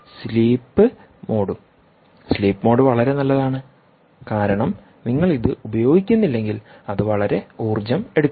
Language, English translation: Malayalam, sleep mode is quite nice because if you are not using it it is, ah, not going to consume much